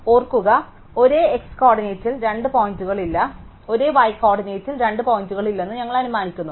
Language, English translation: Malayalam, Remember, we assume that no two points at the same x coordinate, no two points at the same y coordinate